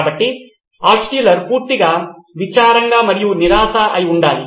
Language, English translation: Telugu, So Altshuller should have been totally crestfallen